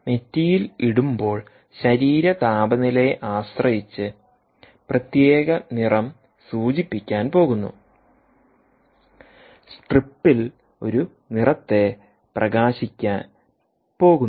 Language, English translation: Malayalam, now, when you put it on your forehead, if, depending on the body temperature, its going to indicate a colour, right, that particular colour is going to light up in the strip